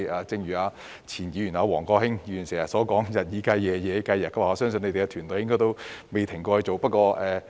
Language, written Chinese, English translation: Cantonese, 正如前議員王國興經常說的"日以繼夜，夜以繼日"，我相信局長的團隊的工作應該未曾停止。, Just as the line often said by former Member Mr WONG Kwok - hing staying up day and night night and day I believe the team of the Secretary has never stopped working